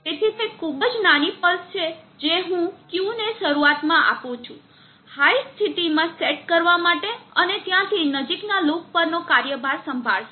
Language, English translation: Gujarati, So it is a very small pulse which I give to initially set Q to a high state and from there on the close loop will take over